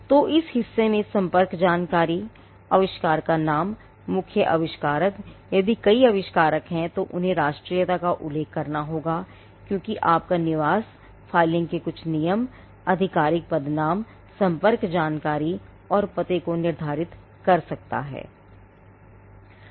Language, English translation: Hindi, So, there is part a which has the contact information, name of the invention, main inventor, if there are multiple inventors they have to be mentioned nationality, because your residents can determine certain rules of filing, official designation, contact information and address